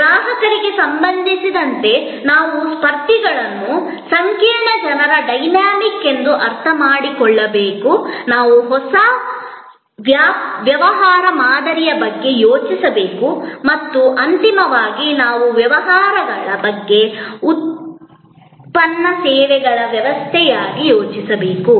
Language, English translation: Kannada, We have to understand competitors in relation to customers as a complex people dynamics we have to think about new business model’s and ultimately therefore, we have to think about businesses as a product services systems